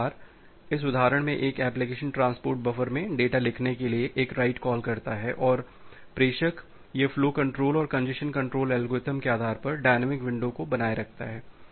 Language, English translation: Hindi, So, here in this example that the application makes a write call to write data in the transport buffer, and the sender it maintains a dynamic window based on the flow control and the congestion control algorithm